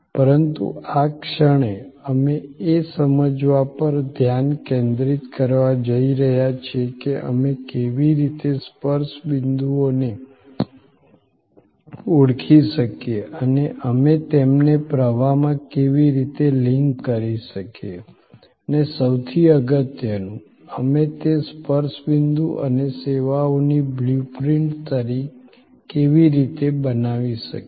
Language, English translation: Gujarati, But, at the moment, we are going to focus on understanding that how we can identify the touch points and how we can link them in a flow and most importantly, how we can map or create a blue print of those touch points and services